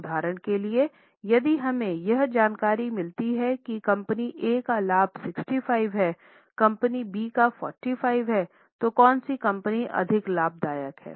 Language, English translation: Hindi, For example, if we get this information that profit of company A is 65, company B is 45